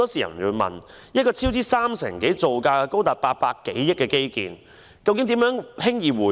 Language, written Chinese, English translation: Cantonese, 有人便會問，一個超支三成多、造價高達800多億元的基建工程，如何輕易回本？, Some query how this infrastructure project with a construction cost exceeding 80 billion―overspending by over 30 % ―will break even easily?